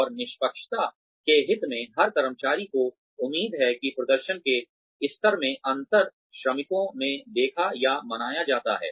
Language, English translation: Hindi, And, fairness, in the interest of fairness, every employee expects, that the difference in performance levels, across workers are seen or observed